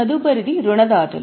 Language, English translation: Telugu, Next one is creditors